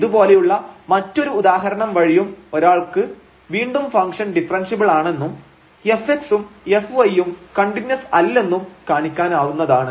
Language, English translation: Malayalam, Another example of similar kind one can show again here that the function is differentiable and f x and f y they are not continuous